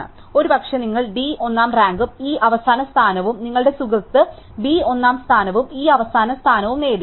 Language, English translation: Malayalam, So, perhaps you rank D first and E last and your friend ranked B first and E last